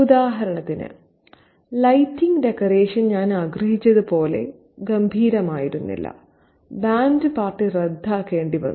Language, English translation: Malayalam, For example, the lighting decoration was not as gorgeous as I had wanted it to be and the band party had to be cancelled